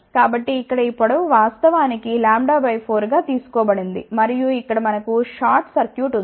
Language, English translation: Telugu, So, here this length is actually taken as lambda by 4 and over here we have a short circuit we have a short circuit over here